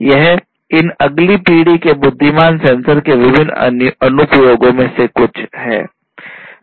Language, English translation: Hindi, These are some of these different applications of these next generation intelligent sensors